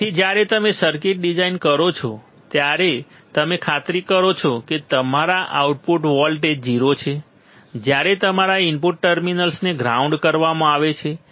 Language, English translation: Gujarati, So, in when you design the circuit you make sure that you are you are output voltage is 0 when your input terminals are grounded